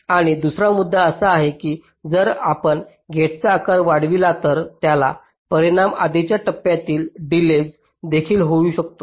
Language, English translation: Marathi, and another point is that if you increase the size of the gate, it may also affect the delay of the preceding stage